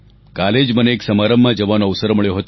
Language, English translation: Gujarati, Yesterday I got the opportunity to be part of a function